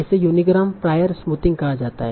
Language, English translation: Hindi, So this is called unigram prior smoothing